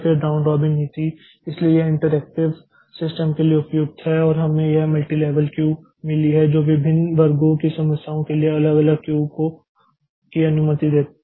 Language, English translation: Hindi, Then round robin policy so it is appropriate for interactive systems and we have got this multi level queue that allows different queues for different classes of problems